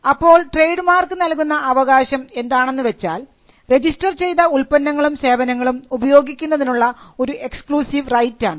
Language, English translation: Malayalam, Now the rights conferred by registration include exclusive right to use the mark for registered goods and services